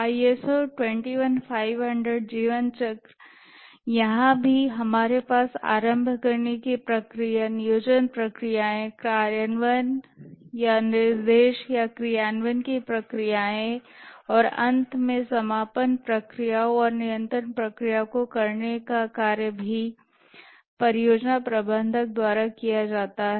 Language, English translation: Hindi, The ISO 21,500 lifecycle, here also we have the initiating processes, the planning processes, implementing or the directing or executing processes and finally the closing processes and throughout the controlling processes are carried out by the project manager